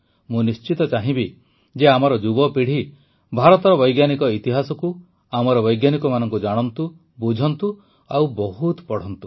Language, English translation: Odia, I definitely would want that our youth know, understand and read a lot about the history of science of India ; about our scientists as well